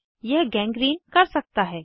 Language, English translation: Hindi, This could lead to gangrene